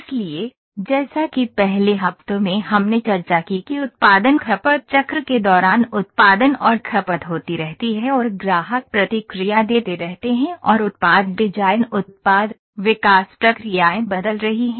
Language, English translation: Hindi, So, as in the first weeks we discussed that while production consumption cycle the production and consumption keeps happening and the customers keep giving feedback and a product design product, development processes are changing